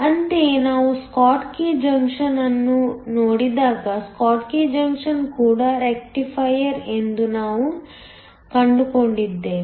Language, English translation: Kannada, Similarly, when we looked at a schottky junction we found that the schottky junction is also a rectifier